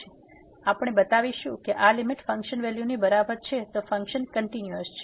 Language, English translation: Gujarati, So, we will show that this limit here is equal to the function value than the function is continuous